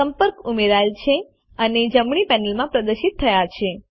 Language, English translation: Gujarati, The contact is added and displayed in the right panel